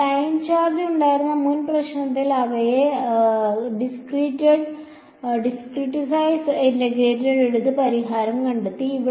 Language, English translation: Malayalam, In the previous problem where we had the line charge we just took them discretize phi 1 integrated and got the solution